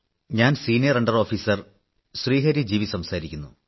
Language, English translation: Malayalam, This is senior under Officer Sri Hari G